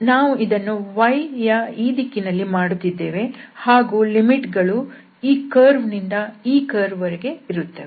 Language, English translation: Kannada, So we are doing this in the direction of y and the limits will be from this curve to this curve